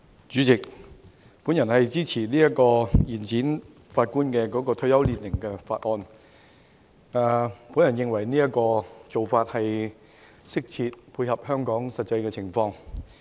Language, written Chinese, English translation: Cantonese, 主席，我支持《2019年司法人員條例草案》，我認為有關做法適切，並能配合香港的實際情況。, President I support the Judicial Officers Amendment Bill 2019 . I think the proposed measures are appropriate and tally with the actual circumstances of Hong Kong